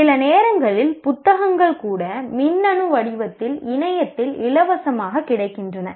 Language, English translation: Tamil, Sometimes even books are available in electronic form free on the net